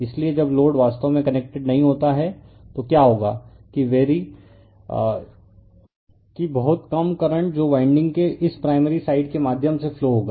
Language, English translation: Hindi, So, when load is actually not connected so, what will happen is very small current right will flow through this your what you call through this primary side of the winding